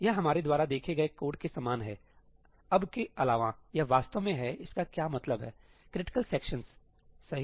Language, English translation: Hindi, This is similar to the code we saw, except for now, it is actually what it is meant for critical sections, right